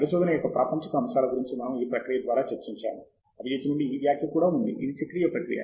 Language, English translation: Telugu, As we also discussed through this process about the mundane aspects of research; we also had this comment from Abijith, which was that it is a cyclic process